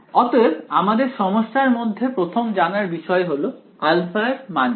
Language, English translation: Bengali, So, first of all in our problem what is the value of alpha